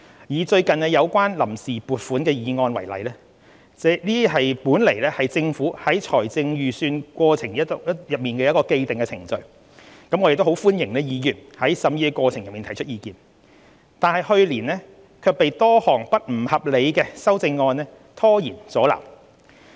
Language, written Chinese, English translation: Cantonese, 以最近有關臨時撥款的議案為例，這本來是政府在財政預算過程中的既定程序，我們歡迎議員在審議過程中提出意見，但去年卻被多項不合理的修正案拖延阻撓。, Taking the recent resolution of the Vote on Account as an example this is a well - established procedure in the budgetary process . Whilst we welcome Members views during the deliberation of the resolution the process was delayed by a number of unreasonable amendments last year